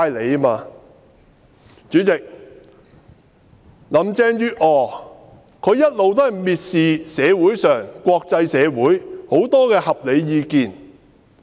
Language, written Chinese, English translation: Cantonese, 代理主席，林鄭月娥一直蔑視社會和國際社會各種合理意見。, Deputy President all along Carrie LAM has held the reasonable opinions expressed by society and the international community in contempt